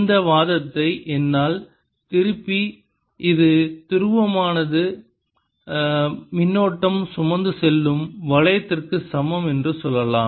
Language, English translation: Tamil, i can turn this argument around and say that a dipole is equivalent to a current carrying loop